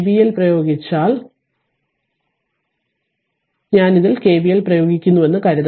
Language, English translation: Malayalam, So, in this case if you apply your KVL suppose if I go like this and i apply your KVL